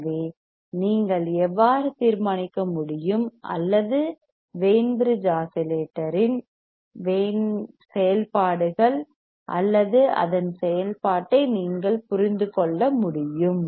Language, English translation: Tamil, So, this is how you can determine or you can understand the functionality are there for or the working of the Wein bridge oscillator working of Wein bridge oscillator